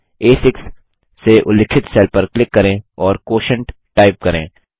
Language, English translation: Hindi, Click on the cell referenced A6 and type QUOTIENT